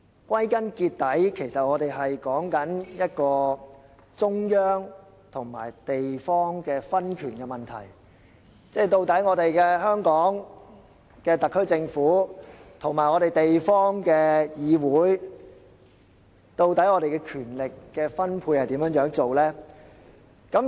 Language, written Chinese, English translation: Cantonese, 歸根結底，我們所說的是一個中央與地方的分權問題，也就是香港特區政府與地方議會的權力分配應如何處理。, After all we are talking about power distribution between the central and districts that is the approaches to handling power distribution between the SAR Government and local councils